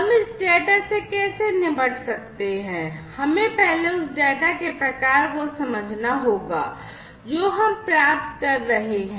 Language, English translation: Hindi, How we can deal with this data, we need to first understand the type of data, that we are receiving